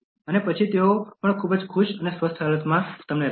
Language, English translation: Gujarati, And then they will also keep you in a very happy and healthy condition